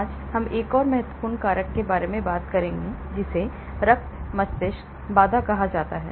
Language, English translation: Hindi, Today, we will talk about another important factor that is called the blood brain barrier